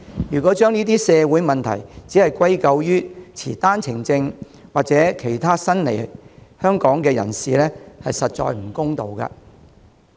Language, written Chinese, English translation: Cantonese, 如果將這些社會問題完全歸咎於持單程證或其他新來港人士，實在不公道。, It is definitely unfair for us to put all the blame on OWP holders or other new arrivals for these social problems